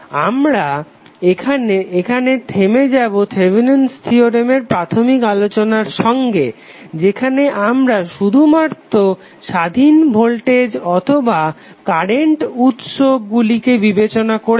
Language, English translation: Bengali, So we stop here with the initial discussion on the Thevenin Theorem when we considered only the independent voltage or current sources